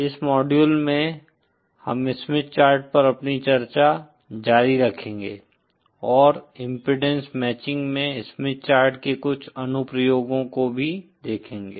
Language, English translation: Hindi, In this module, we will continue our discussion on the Smith Chart and also see some applications of the Smith Chart in impedance matching